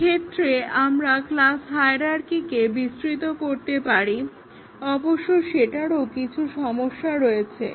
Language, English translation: Bengali, So, one possibility is that we may flatten the class hierarchy, but then that also has its own problem